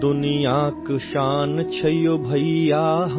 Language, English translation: Hindi, India is the pride of the world brother,